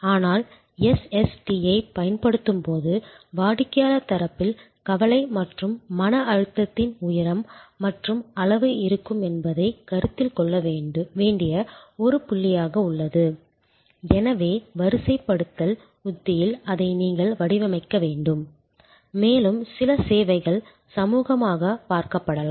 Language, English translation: Tamil, But, it is remains a point to consider while deploying SST that there will be a height and level of anxiety and stress on the customer side and therefore, you must design that into the deployment strategy, also there can be some services are seen as social experiences and therefore, people prefer to deal with people